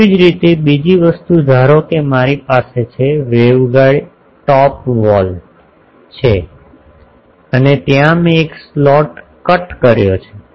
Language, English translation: Gujarati, Similarly, another thing is suppose I have open in so, waveguide top wall and there I cut a slot